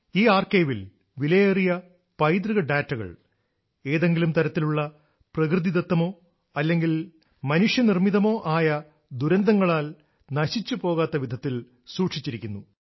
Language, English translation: Malayalam, Invaluable heritage data has been stored in this archive in such a manner that no natural or man made disaster can affect it